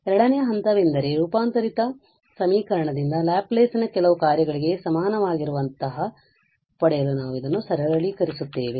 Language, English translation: Kannada, The second step so we will simplify this to get something like Laplace of y is equal to some function of s from the transformed equation